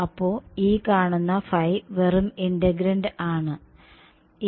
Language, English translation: Malayalam, So, this phi you see is just this integrand ok